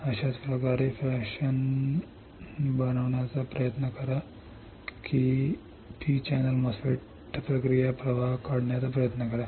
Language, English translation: Marathi, In a similar fashion try to fabricate or try to draw the process flow for the P channel MOSFET